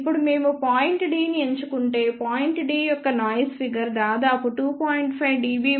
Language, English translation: Telugu, Now, if we choose point D you can see that at point d noise figure is of the order of 2